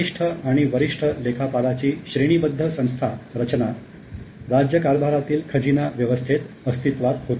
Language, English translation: Marathi, In a hierarchical organization structure of senior to junior accountants existed in the kingdom's treasury function